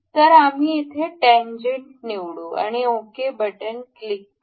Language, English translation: Marathi, So, we will select tangent over here and click ok